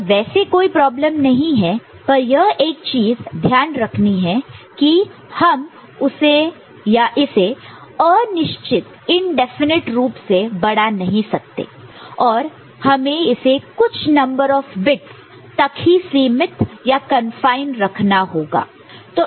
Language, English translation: Hindi, So, there is no issue, but that is something by way for which we cannot you know indefinitely extend it, we have to confine it to certain number of bits ok